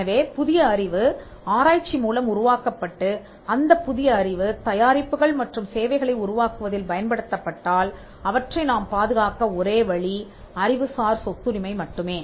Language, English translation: Tamil, So, if new knowledge is created through research and if that new knowledge is applied into the creation of products and services, the only way you can protect them is by intellectual property rights